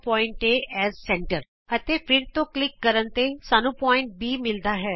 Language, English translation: Punjabi, Click on the point A as centre and then on point B